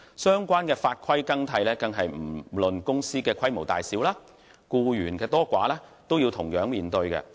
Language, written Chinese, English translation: Cantonese, 相關法規的更替是不論公司的規模大小、僱員多寡，均須同樣面對的。, Irrespective of company and staff sizes all companies invariably have to face changes in the relevant rules and regulations